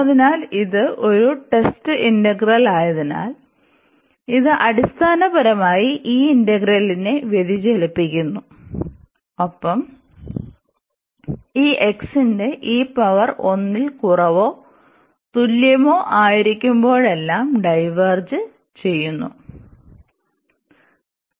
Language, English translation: Malayalam, So, this basically diverges this integral as this was a test integral and we have the divergence whenever this power of this x is less than or equal to 1